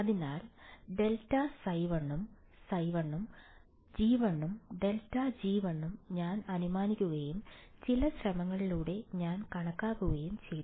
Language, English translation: Malayalam, So, grad phi 1 and phi 1 right, I was assumed that g 1 and grad g 1 through some effort I have calculated